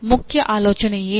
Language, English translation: Kannada, What was the main idea …